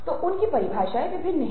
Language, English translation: Hindi, so their definitions varied